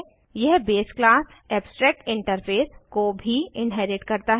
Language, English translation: Hindi, This also inherits the base class abstractinterface